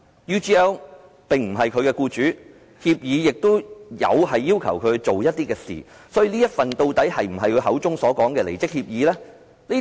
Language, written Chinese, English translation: Cantonese, UGL 並非他的僱主，協議亦有要求他做某些事，所以這份協議究竟是否他口中所說的離職協議？, Is that true? . UGL is not his employer and according to the agreement he had to do something in return; is it a resignation agreement as he claimed?